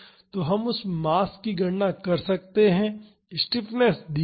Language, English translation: Hindi, So, we can calculate the mass the stiffness is given